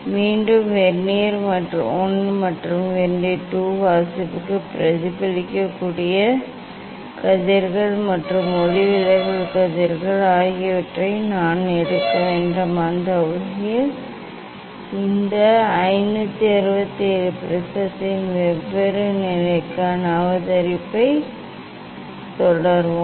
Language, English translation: Tamil, again, I have to take for Vernier I and Vernier II reading for reflected rays and refracted rays that way we will continue this 5 6 7 observation for different position of the prism means for different incident angle I will stop here